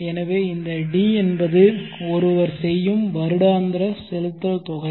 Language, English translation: Tamil, So this D are the equal annual payments that one makes